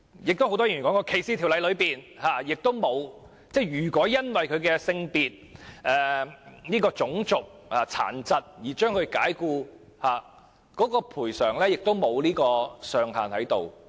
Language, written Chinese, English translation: Cantonese, 很多議員也說，在反歧視的法例中，如僱主因僱員的性別、種族或殘疾而將其解僱，有關的賠償也不設上限。, Many Members have also said that in the anti - discrimination ordinances if an employee is dismissed by an employer on grounds of sex race or disability there is no ceiling for the relevant compensation